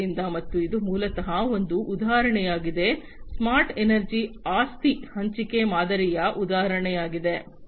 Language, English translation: Kannada, So, and so this is basically an example smart energy is an example of asset sharing model